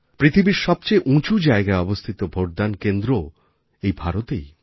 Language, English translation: Bengali, The world's highest located polling station too, is in India